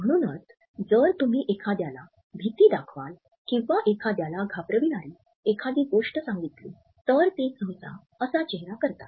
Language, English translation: Marathi, So, if you scare someone or tell someone something that scares them, they will usually make this face